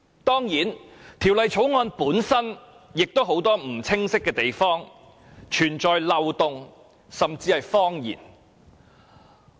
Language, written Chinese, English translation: Cantonese, 當然，《條例草案》有很多不清晰的地方，也有漏洞甚至謊言。, Worse still there are also many ambiguities loopholes and even lies in the Bill